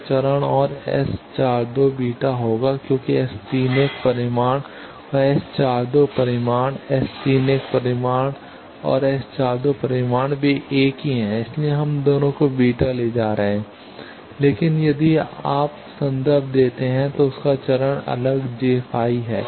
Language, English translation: Hindi, So, phase and S 42 will be beta because S 31 magnitude and S 42 magnitude, S 31 magnitude and S 42 magnitude they are same that is why we are taking the both of them are having beta, but their phase is different if you refer j 5